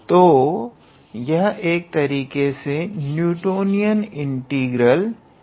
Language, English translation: Hindi, So, this is also in a way our Newtonian integral